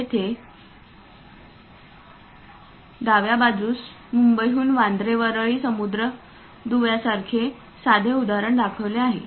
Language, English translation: Marathi, Here, on the left hand side a simple example like Bandra Worli sea link from Mumbai is shown